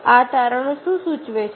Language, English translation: Gujarati, what does this findings suggest